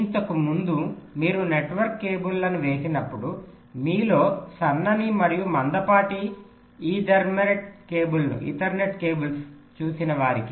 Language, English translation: Telugu, see earlier when you laid out the network cables for those of you who have seen those thin and thick ethernet cables